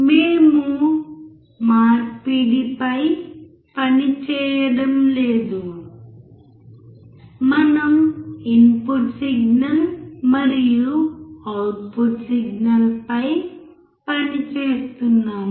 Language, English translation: Telugu, We were not working on the conversion; we were working on the input signal and the output signal